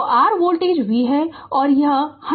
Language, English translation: Hindi, So, your voltage is V right and this is 100 volt